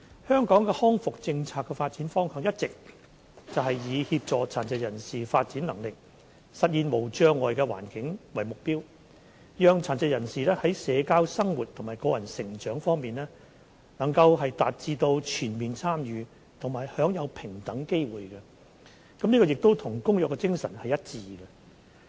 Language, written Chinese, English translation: Cantonese, 香港康復政策的發展方向，一直是以協助殘疾人士發展能力，實現無障礙環境為目標，讓殘疾人士在社交生活和個人成長方面，均能達致全面參與和享有平等機會，這與《公約》的精神是一致的。, The development direction of Hong Kongs rehabilitation policy has always aimed to assist persons with disabilities in developing their potentials and to bring forth a barrier - free environment that can ensure full participation and equal opportunities for persons with disabilities in respect of their social life and personal development . This is in line with the spirit of the Convention